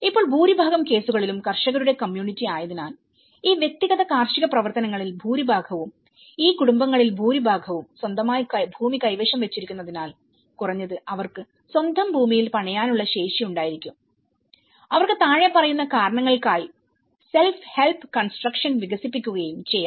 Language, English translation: Malayalam, Now, in most of the cases being a farmer’s community and most of these individual agricultural activities, most of these families own land so that at least they have a capacity to build on their own piece of land and they could able to develop self help construction for the following reasons